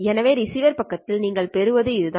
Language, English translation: Tamil, So this is especially at the receiver side that we talk about